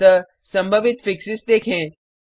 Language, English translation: Hindi, So let us look at the possible fixes.